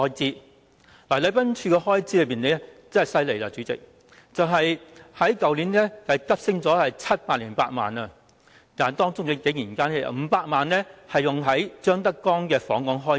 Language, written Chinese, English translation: Cantonese, 主席，禮賓處的開支可厲害了，去年急升了708萬元，但當中竟然有500萬元是接待張德江訪港的開支。, Chairman the Protocol Division is most awesome insofar as its expenses are concerned for they rose sharply to 7.08 million last year with 5 million of it being expenditure on ZHANG Dejiangs visit to Hong Kong